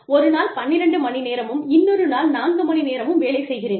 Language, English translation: Tamil, Whether, i put in 12 hours of work on one day, and four hours of work on the other day